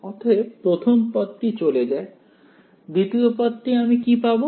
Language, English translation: Bengali, So, the first term goes away second term what will I get